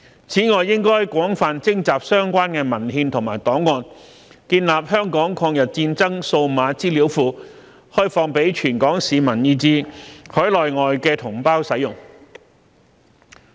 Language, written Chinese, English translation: Cantonese, 此外，應廣泛徵集相關的文獻和檔案，建立香港抗日戰爭數碼資料庫，開放給全港市民以至海內外同胞使用。, Moreover an extensive acquisition of relevant documents and archives should be arranged to create a digital database related to Hong Kongs War of Resistance that is accessible by the public in Hong Kong as well as Mainland and overseas compatriots